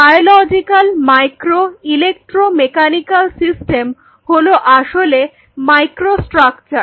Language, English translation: Bengali, Biological micro electromechanical systems these are essentially microstructures